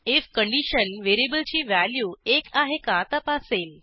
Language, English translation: Marathi, If condition checks whether the variable value is equal to 1